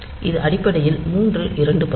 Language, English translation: Tamil, So, this is basically the two third thing